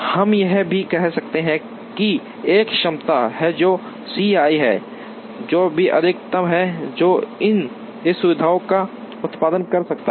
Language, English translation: Hindi, We could also say, that there is a capacity which is C i, which is the maximum that this facility can produce